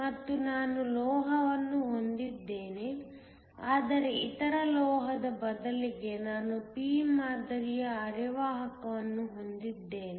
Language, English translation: Kannada, And I have a metal, but instead of the other metal I have a p type semiconductor